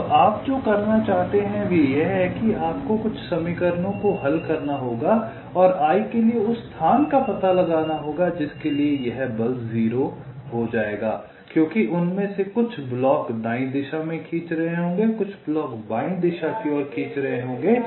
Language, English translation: Hindi, now what you want to do is that you will have to solve some equations and find out the location for i for which this force will become zero, because some of them will be pulling in the right direction, some blocks will be pulling in the left direction